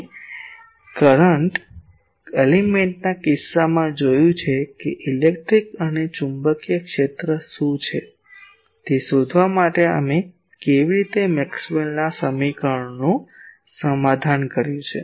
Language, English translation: Gujarati, We have seen in case of current element how we solved Maxwell's equations to find out what are the E, H etc